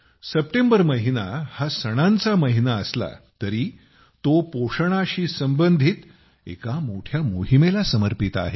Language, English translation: Marathi, The month of September is dedicated to festivals as well as a big campaign related to nutrition